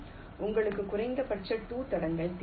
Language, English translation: Tamil, you need minimum two tracks